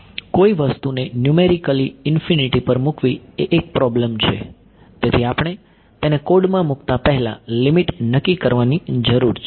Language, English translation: Gujarati, Putting numerically something has infinity is a problem, so we need to work out the limit before we put it into the code right